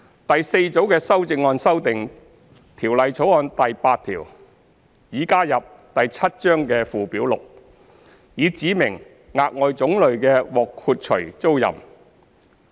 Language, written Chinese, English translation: Cantonese, 第四組的修正案修訂《條例草案》第8條擬加入第7章的附表 6， 以指明額外種類的獲豁除租賃。, The fourth group of amendments seek to amend Schedule 6 under clause 8 of the Bill to be added to Cap . 7 in order to specify additional types of excluded tenancies